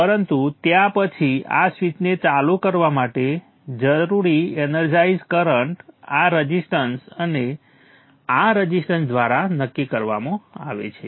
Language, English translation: Gujarati, But then the energizing current that is needed for turning on this switch is decided by this resistor and these resistors